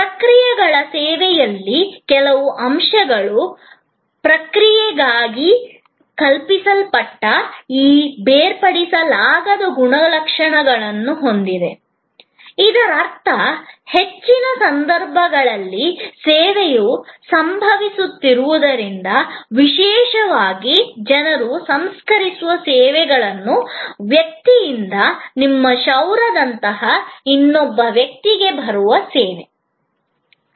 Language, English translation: Kannada, Few points on processes service, when conceived as a process has this inseparability characteristics, which means that as the service is occurring in most cases, particularly in people processing services, service coming from a person to another person like your haircut